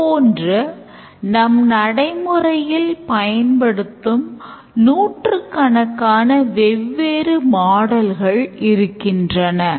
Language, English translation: Tamil, So, you may come up with hundreds of different models that we use in the real life